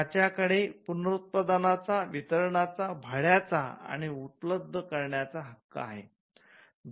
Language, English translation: Marathi, They have the right of reproduction, right of distribution, right of rental and right of making available